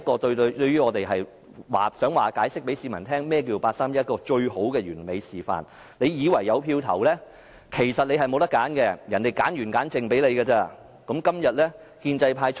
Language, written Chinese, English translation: Cantonese, 對於我們來說，這就是向市民解釋何謂八三一框架的完美示範，你以為可以投票，但其實你沒有選擇，是人家篩選後才讓你選擇的。, To us it is a perfect demonstration for explaining the 31 August framework to the public . You may think that you can vote but actually you do not have a choice or which is only given to you after their screening